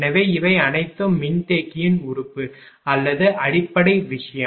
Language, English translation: Tamil, So, these are these are all the capacitor element or the basic thing